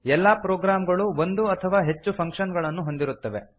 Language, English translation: Kannada, Every program consists of one or more functions